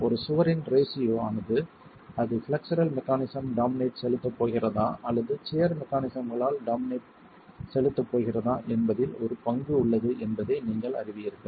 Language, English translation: Tamil, And you know that aspect ratio of a wall has a role to play in whether it is going to be dominated by flexual mechanisms or whether it's going to be dominated by shear mechanisms